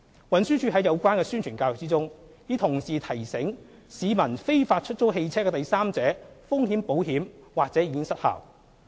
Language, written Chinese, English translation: Cantonese, 運輸署在有關的宣傳教育中，已同時提醒市民非法出租汽車的第三者風險保險或已失效。, In the related publicity and education campaigns TD has also reminded the public that the third party risks insurance for an illegal hire car may be invalidated